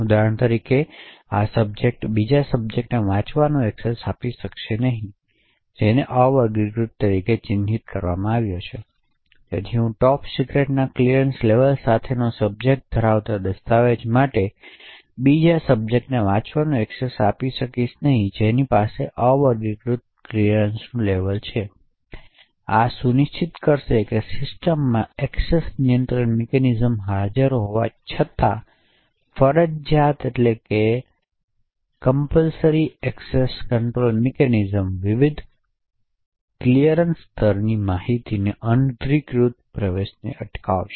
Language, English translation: Gujarati, So for example this subject will not be able to grant a read access to another subject who is marked as unclassified, so I subject with a clearance level of top secret will not be able to grant read access for a document to another subject who has an clearance level of unclassified, so this would ensure that even though the discretionary access control mechanisms are present in the system, the mandatory access control mechanisms would prevent unauthorised flow of information across the various clearance levels